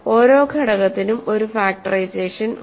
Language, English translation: Malayalam, So, that every element has a factorization